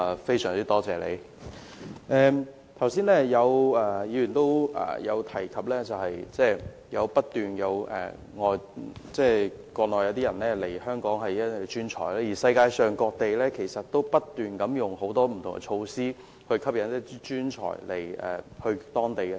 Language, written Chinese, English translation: Cantonese, 正如剛才有議員提到，不斷有國內專才透過輸入計劃來港，而世界各地其實亦正採取各種措施，吸引專才移居當地。, As some Members have just mentioned Mainland talents have been entering Hong Kong for employment under ASMTP while different places in the world have also adopted various measures to attract talents through immigration